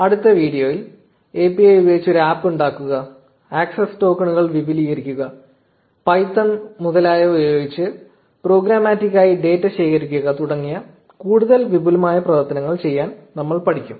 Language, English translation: Malayalam, In the next video, we will learn to do some more advanced operations with the API like creating an app, extending access tokens, collecting data programmatically using python etcetera